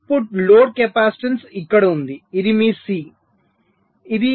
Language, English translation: Telugu, so the output load capacitance will be here